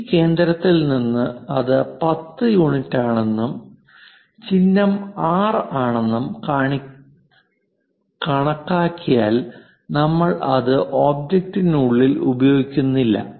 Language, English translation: Malayalam, From this center if I am measuring that it is of 10 units and symbol is R because we do not use inside of the object